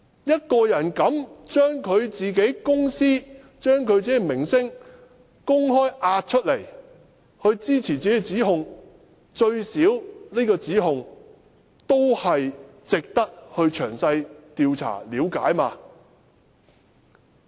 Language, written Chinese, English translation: Cantonese, 一個人勇於押上自己公司、自己的名聲出來作出指控，最低限度這個指控也值得詳細調查、了解。, If someone is brave enough to bet on his company and his reputation to make the allegations his allegations are at least worth further studying and investigation